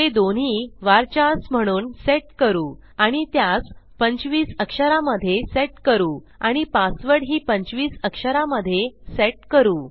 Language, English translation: Marathi, Next well set them as VARCHARs and Ill set this as 25 characters and the password as 25 characters, as well